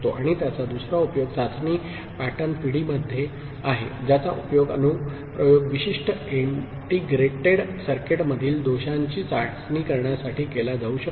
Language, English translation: Marathi, And the other use of it is in test pattern generation of which can be used for testing the faults in application specific integrated circuits